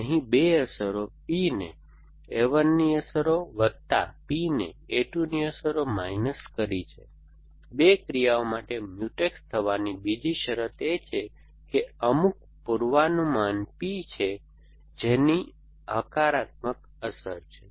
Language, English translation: Gujarati, Essentially, 2 effects P belongs to effects plus of a 1 and P belongs to effects minus of a 2, the second condition for two actions to be Mutex is that there is some predicate P which is a positive effect of